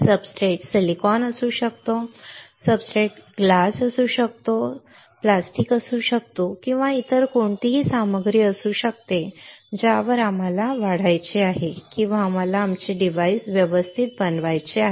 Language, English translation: Marathi, The substrate can be silicon, substrate can be glass, substrate can be plastic, substrate can be any other material on which we want to grow or we want to fabricate our device alright